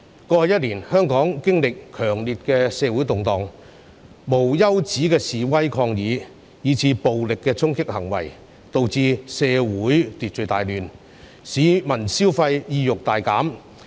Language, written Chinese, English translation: Cantonese, 過去一年，香港經歷了強烈的社會動盪，無休止的示威抗議，以至暴力的衝擊行為，導致社會秩序大亂，市民消費意欲大減。, Over the past year Hong Kong has experienced ferocious social turmoil . Endless demonstrations and protests as well as violent charging acts have resulted in serious social disorder and drastic decline in consumer sentiment